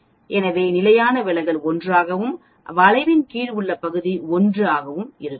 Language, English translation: Tamil, So that the standard deviation is 1 and the area under the curve is exactly 1